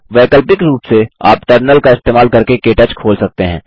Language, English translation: Hindi, Alternately, you can open KTouch using the Terminal